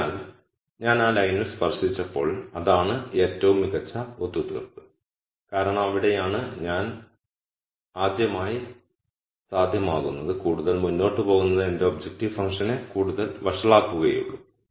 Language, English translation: Malayalam, So, when I just touched that line that is the best compromise because that is where I become feasible for the rst time and going any further would only make my objective function worse